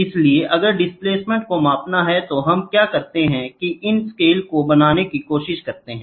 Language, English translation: Hindi, So, if the displacement has to be measured, then what we do is, we try to create these scales, ok